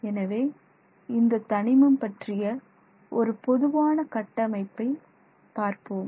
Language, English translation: Tamil, So, that is the general framework with which we will look at this element